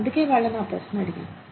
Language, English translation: Telugu, And, so, I asked them this question